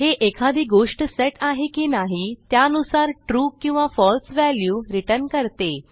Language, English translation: Marathi, This basically returns a true or false value depending on whether something is set or not